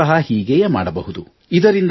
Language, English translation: Kannada, You too can do that